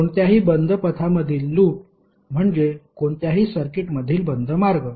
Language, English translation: Marathi, In any closed path loop is basically a closed path in any circuit